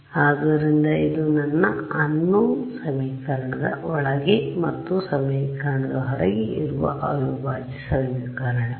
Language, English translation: Kannada, So, this is the integral equation my unknown is both inside the equation and outside the equation right